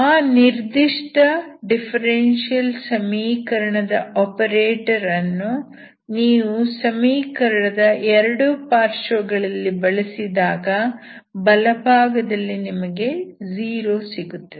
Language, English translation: Kannada, To that particular differential equation operator if you apply both sides of the equation, given equation, so the right hand side you make it 0